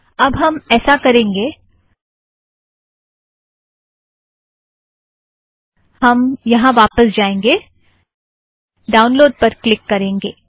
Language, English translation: Hindi, Alright, what we will do is, we will go back to this, click the download button